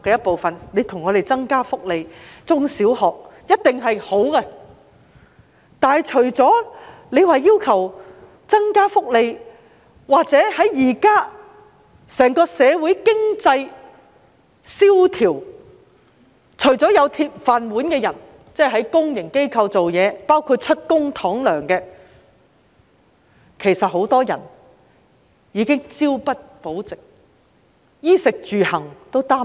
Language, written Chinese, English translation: Cantonese, 不過，教協除了要求增加福利......在現今經濟蕭條下，社會除擁有"鐵飯碗"的人，就是在公營機構工作，包括以公帑支薪的人外，很多人已經是朝不保夕，對衣、食、住、行也感到擔憂。, Yet apart from asking for more benefits HKPTU In this time of recession apart from people with iron rice bowls that is those working in public organizations including people paid by public money many people in society are living from hand to mouth worrying about how to pay for the basic necessities of life